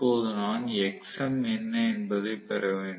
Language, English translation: Tamil, Now, I have to get what is xm